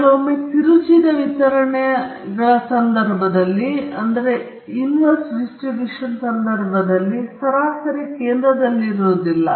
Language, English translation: Kannada, Sometimes, in the case of skewed distributions, the mean may not be in the center